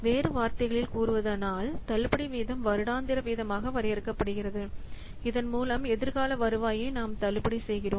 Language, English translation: Tamil, In other words, we can say that discount rate is defined as the annual rate by which the discount by which we discount the future earnings mathematically